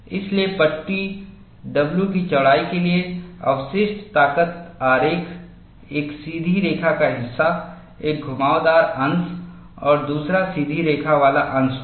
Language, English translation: Hindi, So, for a width of panel W, the residual strength diagram would be a straight line portion, a curved portion and another straight line portion